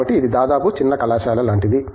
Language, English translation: Telugu, So, it is almost like a mini college